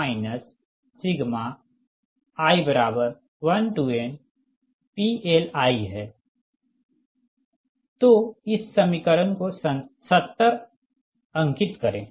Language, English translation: Hindi, suppose this equation is seventy five